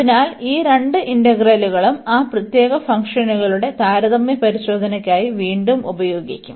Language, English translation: Malayalam, So, these two integrals will be used again for the comparison test of those special functions